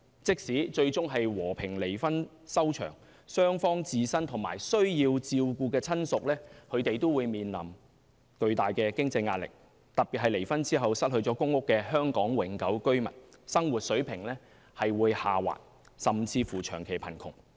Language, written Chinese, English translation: Cantonese, 即使最終和平離婚收場，雙方自身和需要照顧的親屬也會面臨巨大的經濟壓力，特別是離婚後失去公共租住房屋的香港永久居民，生活水平會下滑，甚至長期貧窮。, Even if the couples are divorced the need to take care of themselves as well as their dependents will impose great financial pressure on them . In particular the standard of living of those Hong Kong residents who lost their public rental housing PRH units will fall drastically and they will end up in long - term poverty